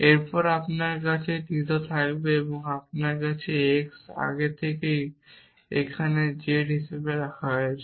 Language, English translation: Bengali, And you will have theta now you have x is already been put as z here